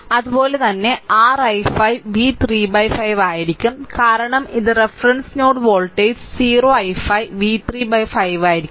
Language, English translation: Malayalam, Similarly, your i 5 will be v 3 by 5 right because this is reference node voltage is 0 i 5 will be v 3 by 5